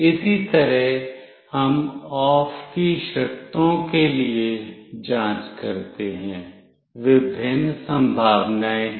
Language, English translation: Hindi, Similarly, we check for OFF conditions, there are various possibilities